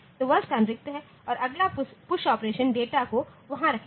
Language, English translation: Hindi, So, that location is empty and the next push operation will put the data there